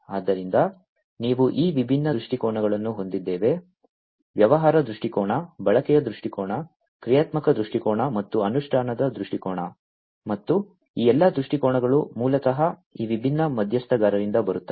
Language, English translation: Kannada, So, you we have these different viewpoints the business viewpoint we have the business viewpoint, we have the usage viewpoint, we have the functional viewpoint and the implementation viewpoint, and all these viewpoints are basically coming from these different stakeholders